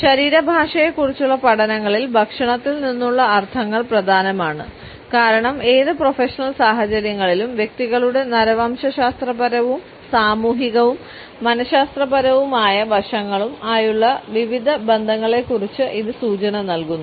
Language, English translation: Malayalam, The connotations which we have from food are important in the studies of body language because it imparts us various associations with the anthropological, sociological and psychological makeup of individuals in any professional situations